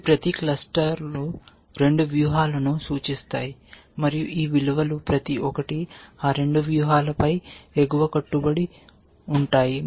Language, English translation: Telugu, Each of these clusters represents 2 strategies, and each of these values represents an upper bound on those 2 strategies